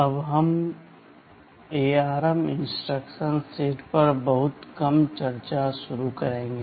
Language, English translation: Hindi, We shall now start a very short discussion on the ARM instruction set